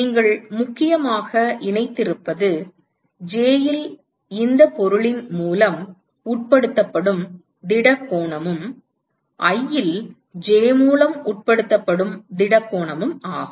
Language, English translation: Tamil, What you have essentially connected is the solid angle which is subtended by this object on j, and solid angle which is subtended by j on i